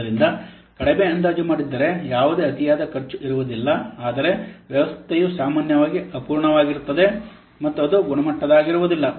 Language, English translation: Kannada, So if you underestimate, the advantage is that there will be no overspend, but the disadvantage that the system will be usually unfinished and it will be substandard